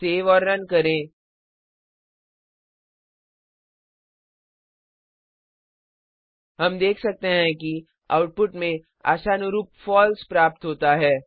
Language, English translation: Hindi, Save and run We can see that the output is False as expected